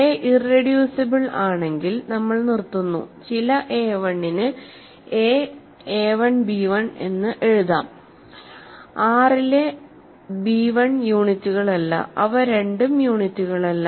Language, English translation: Malayalam, So, if a is irreducible we stop if a is not irreducible by definition a can be written as a 1 b 1 for some a1, b1 in R which are not units right which are both not units